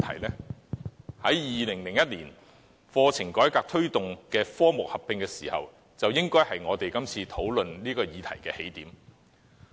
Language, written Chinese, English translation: Cantonese, 其實 ，2001 年課程改革推動科目合併，便是這次討論的起點。, In fact the discussion on this subject should start from the reform of the curriculum in 2001 which proposed the combination of certain subjects